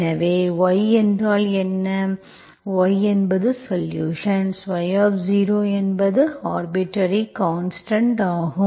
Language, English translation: Tamil, So what is y, y is the solution, y0 is the arbitrary constant, okay